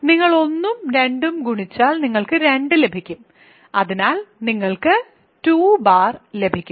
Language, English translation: Malayalam, You take 1 and 2 multiply them you get 2 bar 2, so, you get 2 bar